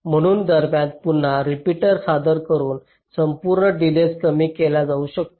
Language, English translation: Marathi, ok, so by introducing repeaters in between, the total delay can be reduced